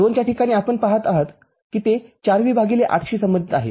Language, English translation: Marathi, At 2 we see this is associated with 4 V by 8